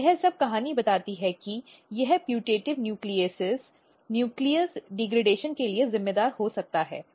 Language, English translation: Hindi, So, all this story tells that this putative nucleases might be responsible for nucleus degradation